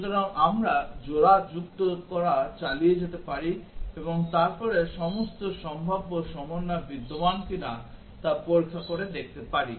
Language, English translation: Bengali, So, we can keep on adding pairs and then checking whether all possible combinations are existing or not